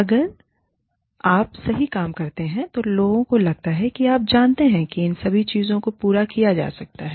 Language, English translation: Hindi, If you do things right, then people feel, you know, all of these things, can be catered to